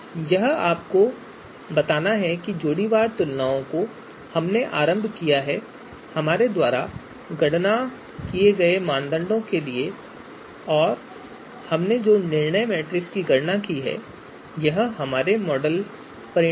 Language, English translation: Hindi, This is to tell you that given the you know pairwise comparisons that we have initialized and the weights for criteria that we have computed and the decision matrix that we have computed, this is our model results